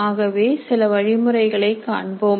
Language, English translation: Tamil, So some of the methods can be as follows